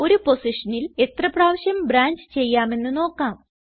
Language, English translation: Malayalam, Lets see how many times we can branch at one position